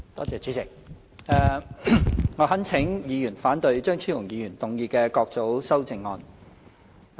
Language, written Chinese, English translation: Cantonese, 主席，我懇請議員反對張超雄議員動議的各組修正案。, Chairman I implore Members to vote against the groups of amendments proposed by Dr Fernando CHEUNG